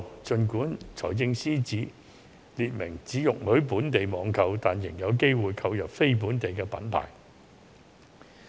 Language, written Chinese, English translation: Cantonese, 儘管司長列明只容許本地網購，但市民仍有機會購入非本地品牌。, Although FS has made it clear that purchases can only be made on local websites there may still be a chance for the public to buy non - local brand products